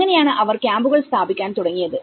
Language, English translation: Malayalam, So, this is how they started setting up some camps